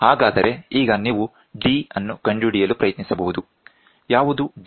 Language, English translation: Kannada, So now, you can try to find out the d, what is d